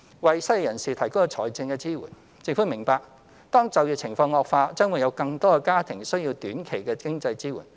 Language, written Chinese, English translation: Cantonese, 為失業人士提供財政支援政府明白當就業情況惡化，將會有更多的家庭需要短期的經濟支援。, Financial support for the unemployed The Government understands that more families need short - term financial support when the employment situation deteriorates